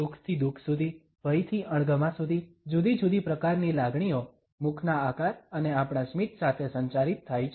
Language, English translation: Gujarati, From happiness to sorrow, from fear to disgust, different type of emotions are communicated with the shapes of mouth and our smiles